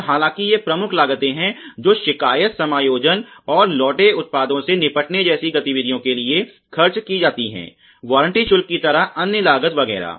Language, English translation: Hindi, And though these are major costs, which are incurred for activities such as compliant adjustment and dealing with returned products; other costs like warranty charges liability costs etcetera